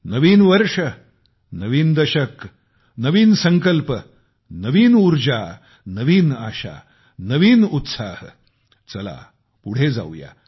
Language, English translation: Marathi, New Year, new decade, new resolutions, new energy, new enthusiasm, new zeal come let's move forth